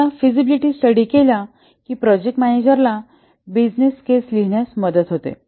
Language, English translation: Marathi, The feasibility study once it is undertaken helps the manager to write the business case